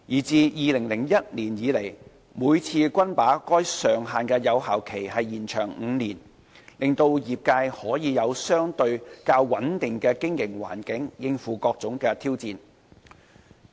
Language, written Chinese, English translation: Cantonese, 自2001年以來，每次均把該上限的有效期延長5年，令業界可以有相對較穩定的經營環境應付各種挑戰。, Since 2001 the effective period of the cap has normally been extended by five years each time so as to provide a relatively stable operating environment for the PLB trade to face its challenges